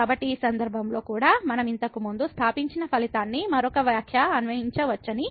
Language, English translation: Telugu, So, in this case also we can apply the same result what we have established earlier another remark